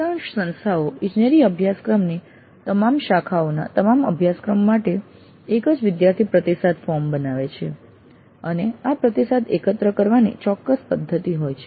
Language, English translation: Gujarati, Most institutions design one student feedback form for all the courses of all branches of engineering and have a standard mechanism of collecting this feedback